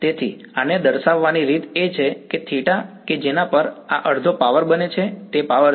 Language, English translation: Gujarati, So, the way to characterize this is to find out that theta at which this becomes half the power is a power right